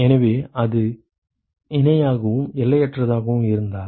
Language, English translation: Tamil, So, if it is parallel and infinitely